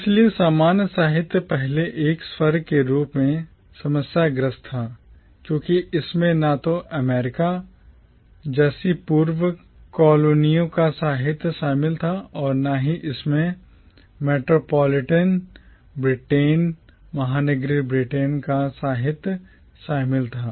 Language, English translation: Hindi, So commonwealth literature was problematic as a category firstly because it neither included the literature of erstwhile colonies like America nor did it include the literature of metropolitan Britain